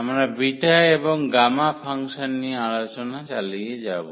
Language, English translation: Bengali, We will continue the discussion on Beta and Gamma Function